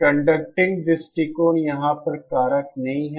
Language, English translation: Hindi, The conduction angle is not a factor over there